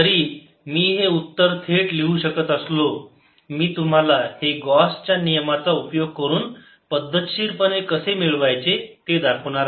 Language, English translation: Marathi, although i can write the answer right away, i'll show you how to systematically get it using gauss law